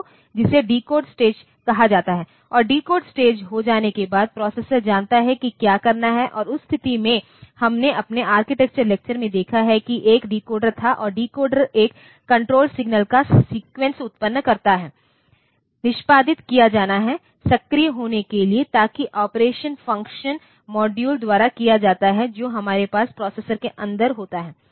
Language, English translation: Hindi, So, that is called the decode stage and after the decode stage has been done then the processor knows like what is the operation to do and in that case we have seen in our architecture lectures that there was a decoder and the decoder generates a sequence of control signals to be execute to be to be activated, so that, the operation is done by the functional modules that we have inside the processor